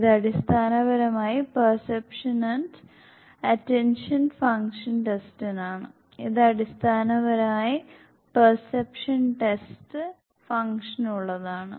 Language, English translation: Malayalam, This basically perception and attention function test; this is basically for the perception test functions